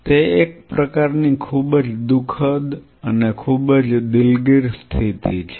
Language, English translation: Gujarati, It is a kind of a very sad and a very sorry state of affair